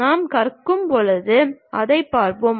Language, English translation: Tamil, We will see that when we are learning